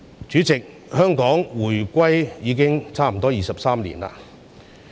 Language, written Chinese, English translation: Cantonese, 主席，香港回歸已差不多23年。, President Hong Kong has reunified with China for almost 23 years